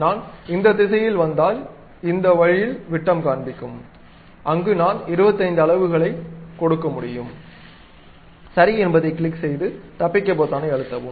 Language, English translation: Tamil, If I come in this direction, it shows diameter in this way where I can always give something like 25 units, and click OK, then press escape